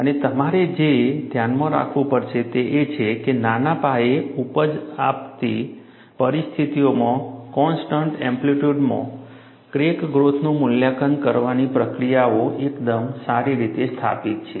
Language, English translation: Gujarati, And what you will have to keep in mind is, the procedures for evaluating crack growth in constant amplitude, under small scale yielding conditions, are fairly well established